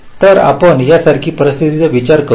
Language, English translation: Marathi, so let us look at a scenario like this